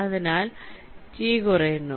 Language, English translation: Malayalam, so t is decreasing